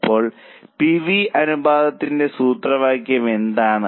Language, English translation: Malayalam, Now, what's the formula of PV ratio